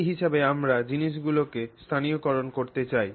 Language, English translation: Bengali, So to that degree we want to localize things